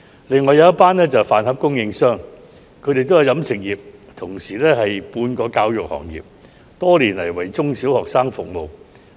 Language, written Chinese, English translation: Cantonese, 另一群人士是飯盒供應商，他們屬於飲食業界，同時也可算是半個教育行業，多年來為中、小學生服務。, Another group of people are school lunch suppliers who belong to the catering industry and can also be regarded as a quasi - educational industry serving primary and secondary school students for many years